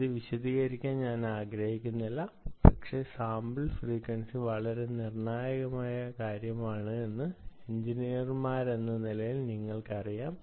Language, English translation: Malayalam, so this is something i don't want to elaborate, but i am sure, as engineers, you actually know that sampling frequency is a very, very ah critical thing